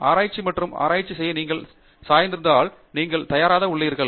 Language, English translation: Tamil, If you have the inclination to learn and carry out research, you are ready